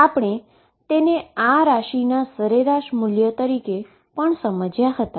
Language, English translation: Gujarati, And we also understood this as the average values of these quantities